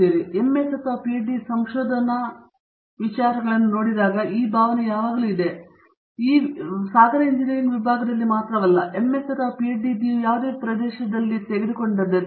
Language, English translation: Kannada, Now, when we look at MS and PhD research type of students, there is always this feeling, in not just in ocean engineering across all disciplines that when you an MS or a PhD you are an expert in an sort of narrow area